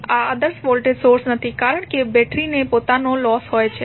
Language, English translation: Gujarati, Although, those are not ideal voltage sources because battery has its own losses